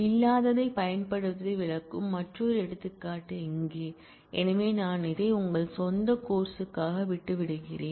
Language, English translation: Tamil, Here is another example which illustrate the use of not exist; so which I leave it for your own study